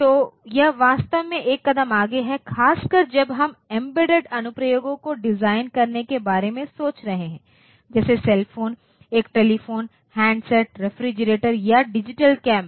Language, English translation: Hindi, So, it is actually one step ahead particularly when we are thinking about designing say embedded applications like say cell phone or say a telephone handset or say refrigerator, so that way what is a digital camera